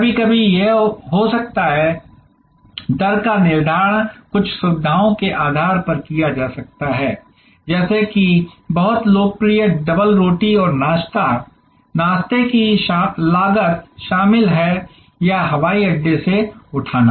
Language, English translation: Hindi, Sometimes it can be, the rate fencing can be done on the basis of some amenities like very popular is bread and breakfast, the breakfast cost is included or the airport pickup